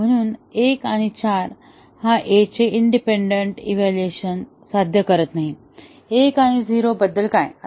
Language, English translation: Marathi, And therefore, one and four do not achieve independent evaluation of A